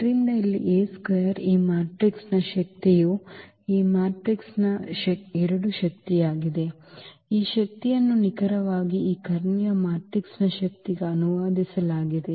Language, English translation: Kannada, So, here the A square the power of this matrix is 2 power of this matrix; it is coming to be that this power is exactly translated to the power of this diagonal matrix